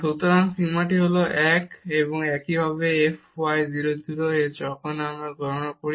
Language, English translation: Bengali, So, this limit is 1, and similarly the f y at 0 0 when we compute